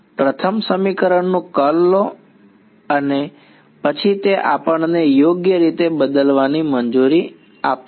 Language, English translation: Gujarati, Take curl of first equation and then that will allow us to substitute right